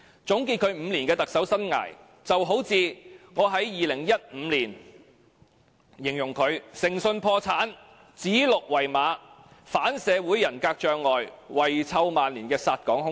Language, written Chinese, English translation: Cantonese, 總結其5年的特首生涯，有如我在2015年形容他"誠信破產，指鹿為馬，反社會人格障礙，遺臭萬年的殺港兇手"。, In drawing a conclusion on his five years as Chief Executive just as how I described him in 2015 he is a morally bankrupt murderer of Hong Kong suffering from antisocial personality disorder who swears black is white and will be cursed by posterity